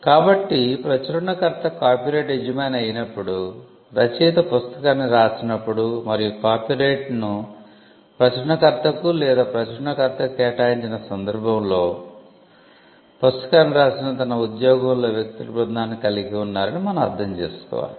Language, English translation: Telugu, So, when it is the publisher who is the copyright owner then we understand that as a case of the author having written the book and having assigned the copyright to the publisher or the publisher had a team of people under his employment who wrote the book and the publishers name figures in the copyright notice